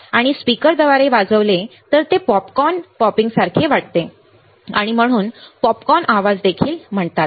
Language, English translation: Marathi, And played through a speaker it sounds like popcorn popping, and hence also called popcorn noise all right